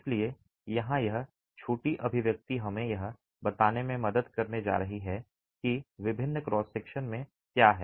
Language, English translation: Hindi, So, this little expression here is going to help us write down what is R at different cross sections